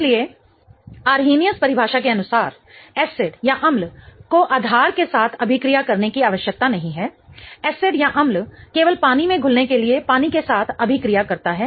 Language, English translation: Hindi, So, according to Arrhenius definition, acid need not react with base, acid only reacted with water in order to dissociate in water